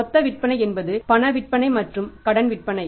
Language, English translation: Tamil, Total sales can be cash sales plus credit sales